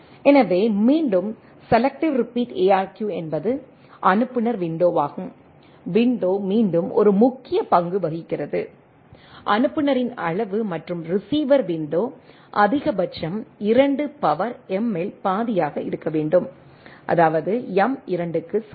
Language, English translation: Tamil, So, again selective repeat ARQ is the sender windows, window again plays a important role, size of the sender and receiver window must be at most half that 2 to the power m; that means, m is equal to 2